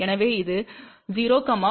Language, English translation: Tamil, So, it is 0, 0